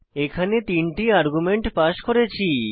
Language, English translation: Bengali, In this we have passed three arguments